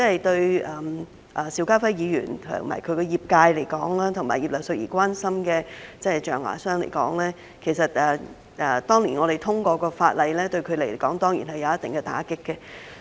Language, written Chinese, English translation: Cantonese, 對邵家輝議員及其業界，以及葉劉淑儀議員所關心的象牙商而言，當年我們通過的法例，當然對他們造成一定打擊。, For Mr SHIU Ka - fai and the sector he represents and for the ivory tradersthat Mrs Regina IP is concerned about the legislation we passed back then has certainly dealt a blow to them